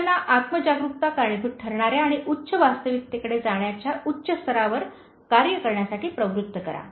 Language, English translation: Marathi, Now, motivate them to operate at a high level of aspiration that causes self awareness and leads to self actualization